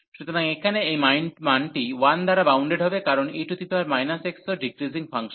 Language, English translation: Bengali, So, this value here will be bounded by by 1, because e power this is minus x is also decreasing function